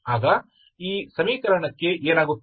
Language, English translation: Kannada, So, what is the equation